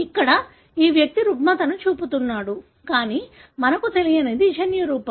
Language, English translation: Telugu, Here, this individual is showing the disorder, but what we do not know is genotype